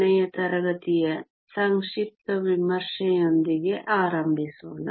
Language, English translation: Kannada, Let us start with a brief review of last class